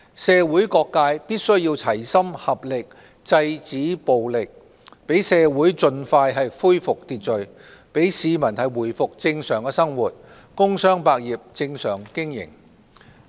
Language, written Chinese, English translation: Cantonese, 社會各界必須齊心合力制止暴力，讓社會盡快恢復秩序、讓市民回復正常的生活、工商百業正常經營。, All sectors of society must work together to stop violence and restore the social order as soon as possible in order to allow the general public to resume normal lives and allow the trade and business to resume normal operations